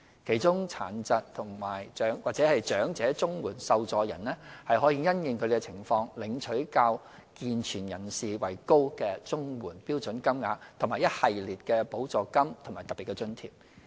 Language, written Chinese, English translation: Cantonese, 其中，殘疾或長者綜援受助人可因應他們的情況，領取較健全人士為高的綜援標準金額和一系列的補助金和特別津貼。, In this connection elderly persons or persons with disabilities may receive higher CSSA standard rates than able - bodied recipients based on their conditions . They are also eligible for a series of CSSA supplements and special grants